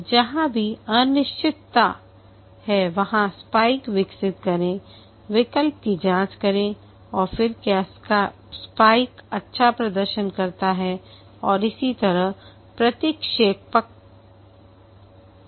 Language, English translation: Hindi, Wherever there is uncertainty, develop a spike, check out the alternative whether the spike performs well and so on